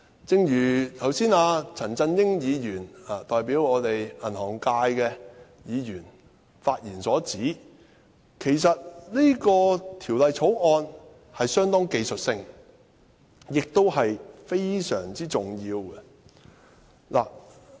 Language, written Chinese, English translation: Cantonese, 正如剛才代表銀行界的陳振英議員發言指出，其實《條例草案》相當技術性，亦非常重要。, Just as Mr CHAN Chun - ying who represents the banking sector said in his speech the Bill is fairly technical and very important